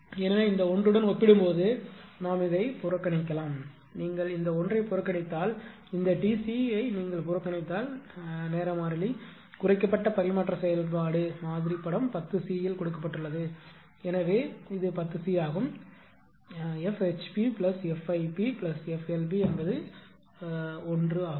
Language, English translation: Tamil, So, compared to that this 1 we can neglect, if you neglect this 1 if you neglect this T c right the time constant if you neglect right, then the reduced transfer transfer function model is given in figure 10 c this is ten c because F HP ah plus F IP plus F LP is 1 right this 1